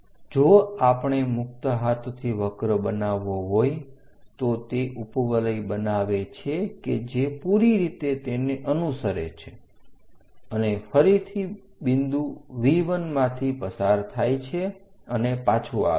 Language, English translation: Gujarati, If we are making a freehand curve, it forms an ellipse which tracks all the way there and again pass through V 1 point and comes back